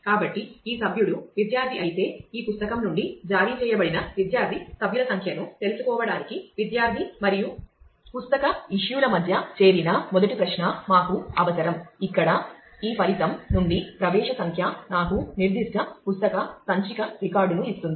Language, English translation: Telugu, So, if this member is a student then we need the first query where we do a join between student and book issue to find out the student member number who is issued that book where the accession number gives me the particular book issue record from this result will come